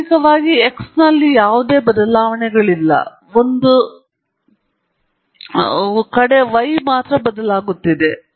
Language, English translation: Kannada, Practically, there is no change in x, only y is changing apart from one outlier